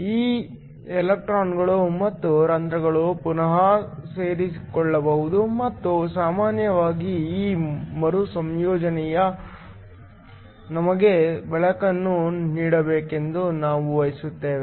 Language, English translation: Kannada, These electrons and holes can recombine and typically we want this recombination to give us light